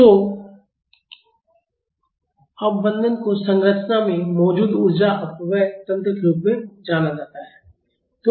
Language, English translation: Hindi, So, damping is referred as the energy dissipation mechanisms present in a structure